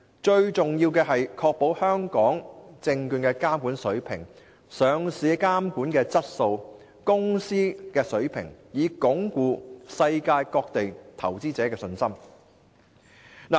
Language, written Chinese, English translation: Cantonese, 最重要的是確保香港證券的監管水平及上市的監管質素，才能鞏固世界各地投資者的信心。, The most important thing is to ensure the regulation standard for Hong Kong stocks and the quality of listing regulation . Then we can strengthen the confidence of investors from around the world